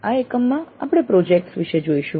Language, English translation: Gujarati, In this unit we look at the projects